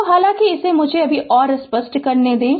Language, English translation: Hindi, So, though just let me clear it